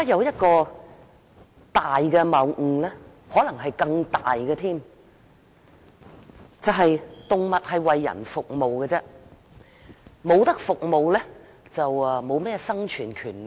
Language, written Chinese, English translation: Cantonese, 一個可能更大的謬誤是，動物是為人服務，不能提供服務就沒有生存權利。, An even greater fallacy is that animals are supposed to serve human beings and those animals that fail to provide any services do not have the right to live